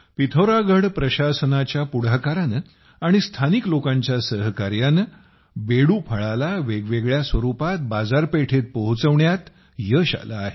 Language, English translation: Marathi, With the initiative of the Pithoragarh administration and the cooperation of the local people, it has been successful in bringing Bedu to the market in different forms